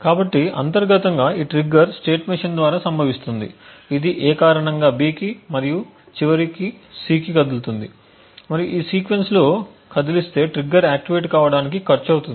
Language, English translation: Telugu, So internally this trigger will occur by the state machine which moves due to A then to B and then finally to C and moving to in this sequence would then cost the trigger to be activated